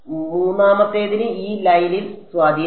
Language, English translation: Malayalam, The third has no influence on this line right